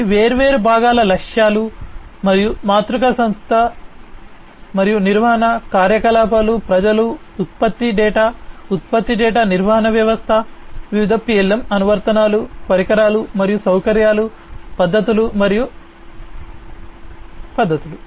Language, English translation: Telugu, These are the different components objectives and matrix, organization and management, activities, people, product data, product data management system, different PLM applications, equipments and facilities, techniques, and methods